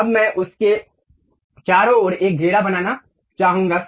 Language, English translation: Hindi, Now, I would like to draw a circle around that